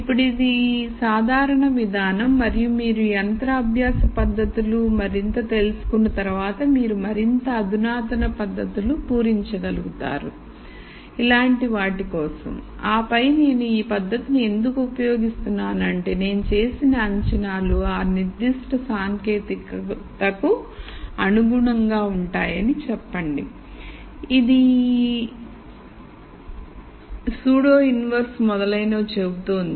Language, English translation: Telugu, Now this is a generic approach and once you learn more and more machine learning techniques you will be able to fill in more sophisticated techniques for things like this and then say I am going to use this technique because the assumptions that I have made are consistent with that particular technique and so on